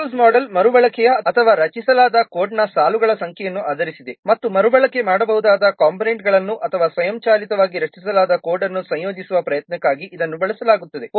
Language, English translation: Kannada, Reuse model is based on number of lines of code that is reused or generated and it is used for effort to integrate reusable components or automatically generated code